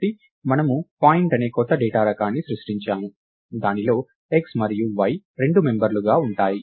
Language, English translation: Telugu, So, we have created a new data type called point which has x and y as two possible ah